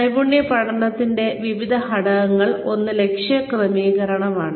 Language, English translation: Malayalam, Some ingredients of skill learning are, one is goal setting